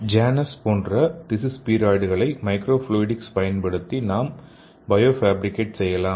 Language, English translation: Tamil, So here we can bio fabricate the Janus like tissue spheroids using microfluidics